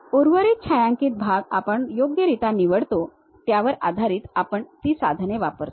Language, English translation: Marathi, Remaining shaded portions we pick appropriately based on that we use those tools